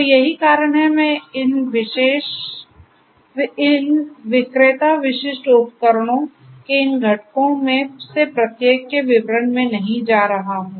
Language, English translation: Hindi, So, that is why you know I do not get into the details of each of these components of these vendor specific tools